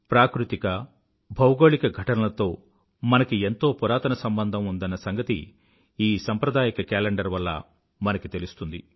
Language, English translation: Telugu, This traditional calendar depicts our bonding with natural and astronomical events